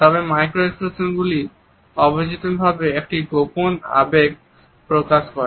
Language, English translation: Bengali, However, micro expressions unconsciously display a concealed emotion